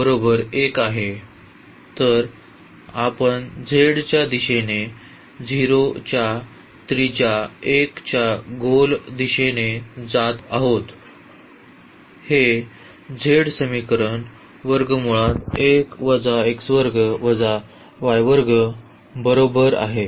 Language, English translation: Marathi, So, we are moving from 0 in the direction of z to that sphere